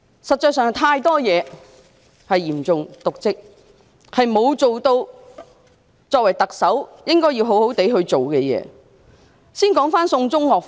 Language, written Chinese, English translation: Cantonese, 實際上，有太多涉及嚴重瀆職的情況，她沒有做好身為特首應該好好去做的工作。, In fact there are too many cases involving serious dereliction of duty in which she has not properly done what she ought to as the Chief Executive